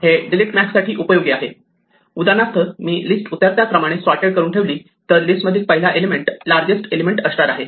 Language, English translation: Marathi, This helps to delete max, for instance, if we keep it sorted in descending order the first element of the list is always the largest element